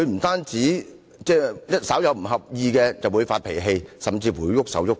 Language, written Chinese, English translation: Cantonese, 他稍不合意便發脾氣，甚至動手動腳。, He lost his tempers if things did not go his way and he might even kick around